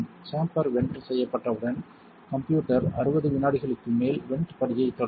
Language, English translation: Tamil, Once the chamber is vented the system will initiate a 60 second over vent step